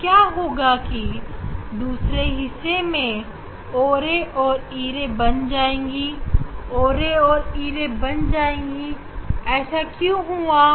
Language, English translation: Hindi, o ray in another half o ray will be e ray, o ray will be e ray and e ray will be o ray